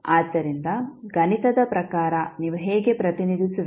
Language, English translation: Kannada, So, mathematically, how will you represent